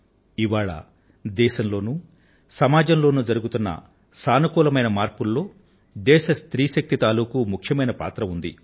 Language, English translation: Telugu, The country's woman power has contributed a lot in the positive transformation being witnessed in our country & society these days